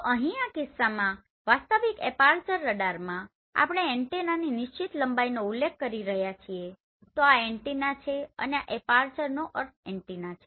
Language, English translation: Gujarati, So here in this case in real aperture radar we are referring the fixed length of antenna so this is the antenna right and aperture means antenna